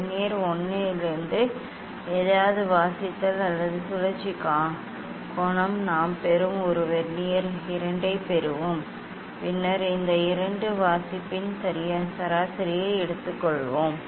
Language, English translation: Tamil, then reading or angle of rotation whatever from Vernier 1 we will get an Vernier 2 we will get, then we will take the average of these two reading